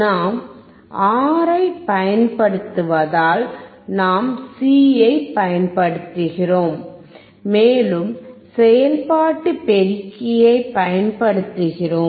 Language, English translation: Tamil, Because we are using R we are using C and we are using operational amplifier